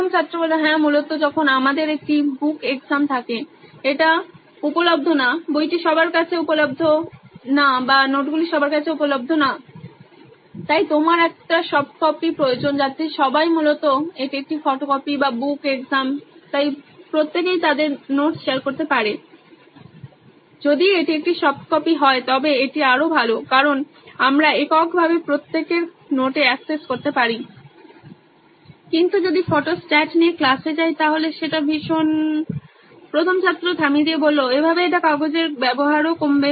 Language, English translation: Bengali, Yeah basically when we have an open textbook exam, it is not available, the book is not available to everyone or the notes is not available to everyone, so you need a soft copy so that everybody can basically it’s an open photocopy or book exam so everybody can share their notes, if it’s a soft copy it is way better because we can access everybody’s notes in a single…but if we takes Photostats to in the classroom it is very